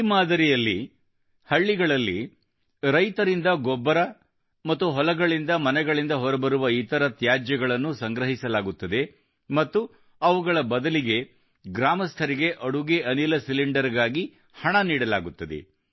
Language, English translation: Kannada, Under this model, dung and other household waste is collected from the farmers of the village and in return the villagers are given money for cooking gas cylinders